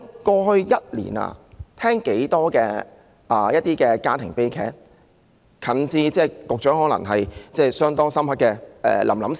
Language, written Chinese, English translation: Cantonese, 過去一年，我們聽到很多家庭悲劇，較近期的可能有局長印象相當深刻的"臨臨"事件。, Many family tragedies occurred in the past year and a more recent case is perhaps the Lam Lam incident which has left a deep impression on the Secretary